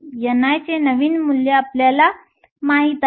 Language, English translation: Marathi, We know the new value of n i